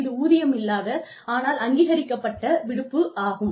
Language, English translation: Tamil, It is unpaid, but authorized leave